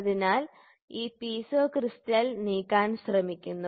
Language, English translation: Malayalam, So, then this Piezo crystal tries to move